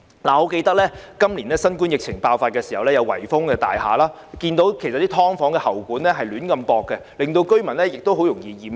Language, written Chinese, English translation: Cantonese, 我記得新冠疫情爆發時有大廈被圍封，看到"劏房"的喉管胡亂接駁，令居民很容易染疫。, As I recall during the outbreak of COVID - 19 the pipes of SDUs in cordoned off buildings were connected in such an improper way as to put residents at higher risk of contracting the virus